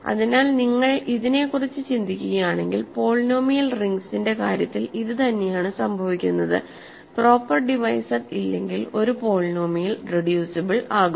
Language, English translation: Malayalam, So, if you think about this, this is exactly what we have in the case of polynomial rings, a polynomial is a reducible if it really has no proper divisor